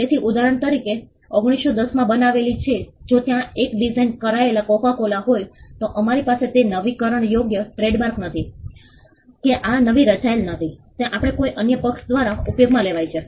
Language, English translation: Gujarati, Therefore, example I play in 1910 if there are 1 designed coco cola, then we have that is not be renewable trademark that these are designed not renewed can that we used by some other party